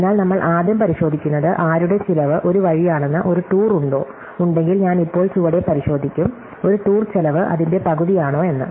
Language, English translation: Malayalam, So, we first check is there a tour of whose cost is mid way, if there is then I will now check below is there a tour cost half of that